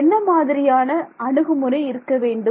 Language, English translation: Tamil, So, what should my approach be